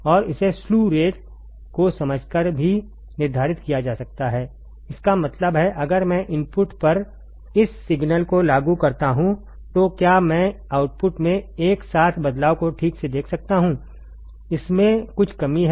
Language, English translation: Hindi, And it can also be determined by understanding the slew rate by understanding the slew rate ; that means, if I apply this signal at the input can I also see the corresponding change in the output simultaneously right it has some lack